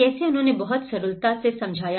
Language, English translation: Hindi, How he explained very simply